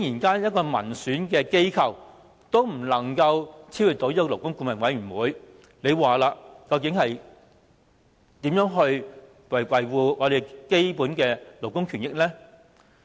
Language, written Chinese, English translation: Cantonese, 當一個民選機構也無法超越勞顧會，試問我們如何能維護基本的勞工權益呢？, If an institution elected by the people cannot override LAB how can we protect the fundamental rights of labour?